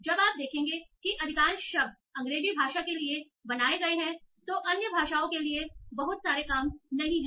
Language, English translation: Hindi, So while you will see that most of the lexicons are built for English language, they are not too many works for other languages